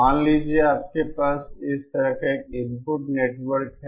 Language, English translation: Hindi, Suppose, you have an input network like this